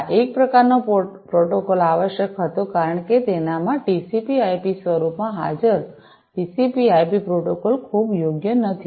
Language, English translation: Gujarati, So, this kind of protocol was required, because the existing TCP IP protocol in its in the TCP IP form was not very suitable